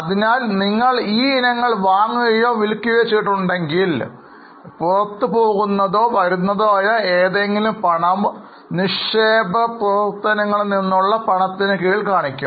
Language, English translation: Malayalam, So, if you have purchased or sold these items, any cash going out or coming in would be shown under cash from investing activities